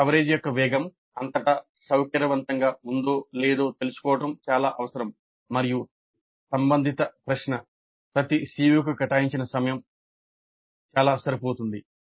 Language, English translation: Telugu, So it is essential to know whether the pace of coverage was comfortable throughout and the related question, time devoted to each COO was quite adequate